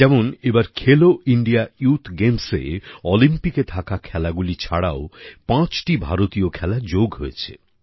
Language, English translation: Bengali, For example, in Khelo India Youth Games, besides disciplines that are in Olympics, five indigenous sports, were also included this time